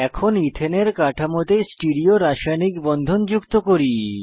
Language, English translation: Bengali, Now let us add Stereochemical bonds to Ethane structure